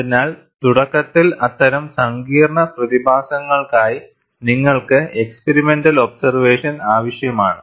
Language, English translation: Malayalam, So, initially you need to have experimental observation for such complex phenomena